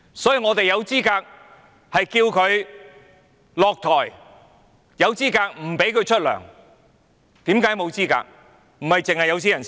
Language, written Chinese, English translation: Cantonese, 所以，我們有資格要求她下台、有資格不允許她支薪，為何沒有資格？, Hence we are qualified to ask her to step down and are qualified not to allow her to get any salary . Are we not qualified?